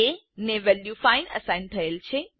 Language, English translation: Gujarati, a is assigned the value of 5